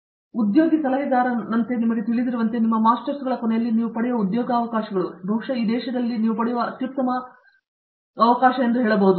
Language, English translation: Kannada, And, as the you know as the former placement adviser, I can also say that the employment opportunities that you would get at the end of your masters, probably of the best that you get in this country